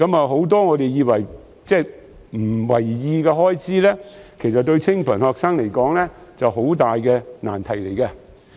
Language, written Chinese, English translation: Cantonese, 很多我們不以為意的開支，對清貧學生來說都是很大的難題。, Many of the expenses that we would hardly notice are big problems for poor students